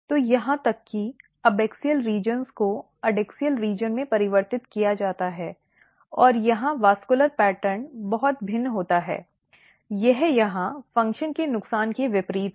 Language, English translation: Hindi, So, basically even abaxial regions get converted into adaxial region and if you look here, the vascular pattern here the vascular pattern is very different it is opposite of the loss of function here